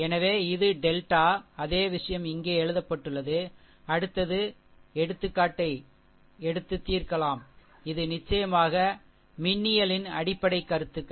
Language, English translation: Tamil, So, this is your delta, same thing is written here, next we will take the example we will solve it is a it is a basic fundamentals of electrical in course